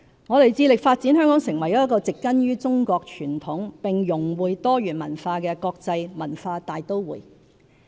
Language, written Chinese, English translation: Cantonese, 我們致力發展香港成為一個植根於中國傳統並融會多元文化的國際文化大都會。, Our vision is to develop Hong Kong into an international cultural metropolis grounded in Chinese traditions and enriched by different cultures